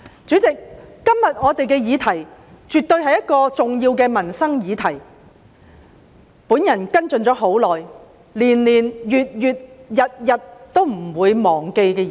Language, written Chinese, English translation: Cantonese, 主席，今天的議題絕對是重要的民生議題，也是我跟進已久，年年、月月、日日都不會忘記的議題。, President the debate subject today is definitely an important livelihood issue . It is also a topic that I have been following up for a long time . It is an issue that is always on my mind